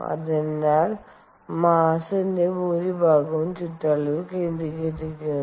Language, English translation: Malayalam, so most of the mass was concentrated on the periphery